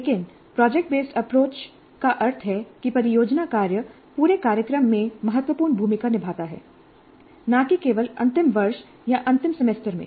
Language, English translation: Hindi, Yes, that particular activity is project based, but the project based approach means that project work plays a significant role throughout the program, not just in the final year or final semester